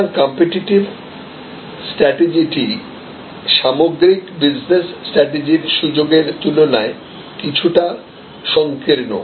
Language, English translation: Bengali, So, competitive strategy therefore, is a bit narrower in scope compare to the overall business strategy